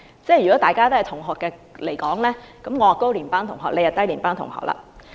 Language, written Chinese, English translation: Cantonese, 如果大家是同學，我是高年班學生，他則是低年班學生。, If we are classmates then I am a senior student and he is a junior student